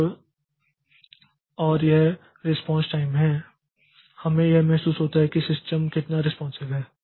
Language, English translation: Hindi, So, and that is the response time and we get a feeling like how responsive is the system